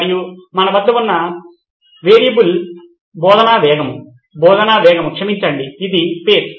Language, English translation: Telugu, And the variable that we have with us is the pace of teaching, pace of teaching